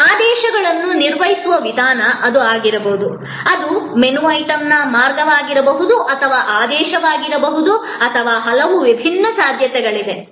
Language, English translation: Kannada, That could be the way orders are handle; that could be the way of menu item is can be ordered or so many different possibilities are there